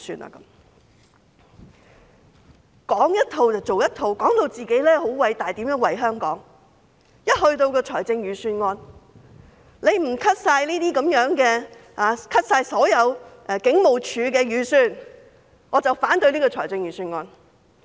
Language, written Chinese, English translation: Cantonese, 他們講一套做一套，說到自己很偉大，說怎樣為香港，說不削減警務處的所有預算便會反對預算案。, They spoke of one thing but did another . They preached about how great a job they have done for Hong Kong and how they would vote against the Budget if the expenditures of the Police Force are not reduced